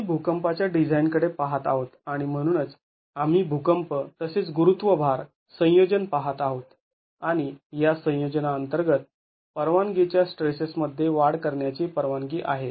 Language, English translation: Marathi, We are looking at seismic design and therefore we are going to be looking at an earthquake plus gravity load combination and under this combination increase in permissible stresses is permitted